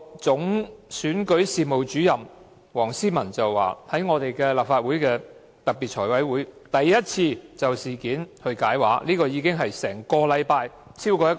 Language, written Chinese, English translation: Cantonese, 總選舉事務主任黃思文在立法會特別財務委員會會議上首次就事件解畫，其時已是事發後超過1星期。, Mr WONG See - man the Chief Electoral Officer of REO for the first time briefed Members on the incident at a special meeting of our Finance Committee . That was already more than one week after the incident took place